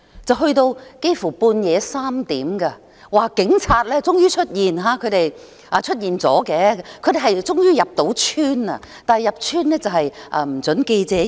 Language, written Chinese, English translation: Cantonese, 整件事幾乎直至半夜3點，據說警察終於出現，終於成功入村，但警察入村後卻不准記者進入。, The whole incident almost lasted till 3col00 am when it was heard that the Police finally turned up and succeeded in entering the village . But after the Police had entered the village reporters were denied entry